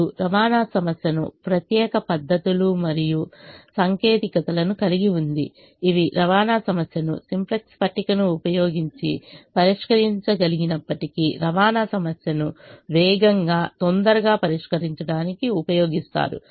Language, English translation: Telugu, now the transportation problem therefore has special methods and techniques which are used to solve the transportation problem in a faster, quicker manner compared to solving it using the simplex table, even though it can be solved using the simplex table